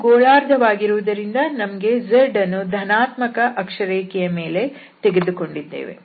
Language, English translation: Kannada, And since it is a hemisphere we are taking z in the positive axis